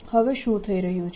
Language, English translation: Gujarati, what is happening now